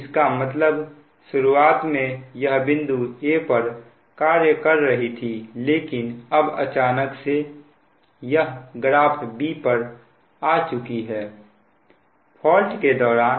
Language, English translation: Hindi, that that means initially it was operating at point a, but now suddenly this has your, what you call has come to graph b